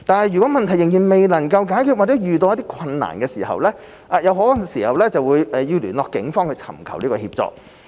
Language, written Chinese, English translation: Cantonese, 如問題仍未能解決或遇到困難，則可聯絡警方尋求協助。, If the problem persists or difficulties arise further assistance from the Police may be sought